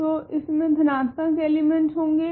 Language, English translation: Hindi, So, it contains positive elements